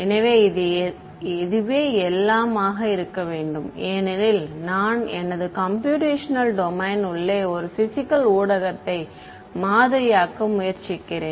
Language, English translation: Tamil, So, everything has to be 1 because I am be trying to model a physical medium this is the inside of my computational domain